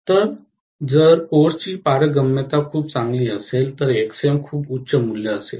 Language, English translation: Marathi, So if the permeability of the course is pretty good, Xm will be a very high value